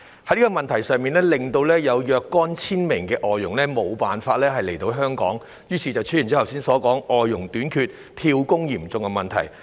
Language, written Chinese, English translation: Cantonese, 在這個問題上，已有數千名外傭無法來港，於是出現剛才所說的外傭短缺、"跳工"嚴重問題。, In this connection thousands of FDHs are unable to come to Hong Kong thus resulting in a shortage of FDHs and frequent job - hopping among them which I just mentioned